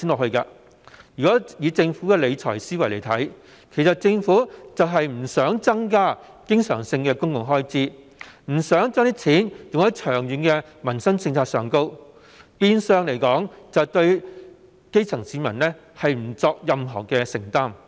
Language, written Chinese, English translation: Cantonese, 按照政府的理財思維，政府不想增加經常性公共開支，不想把錢用在長遠的民生政策上，變相對基層市民不作任何承擔。, Based on the Governments fiscal philosophy it does not want to increase recurrent public expenditure and spend money to implement long - term livelihood policies . This actually means that no commitment is made to take care of the grass roots